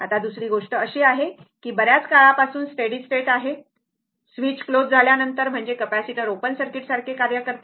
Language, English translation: Marathi, Now, second thing is, the steady state a long time, after the switch closes, means the capacitor acts like open circuit right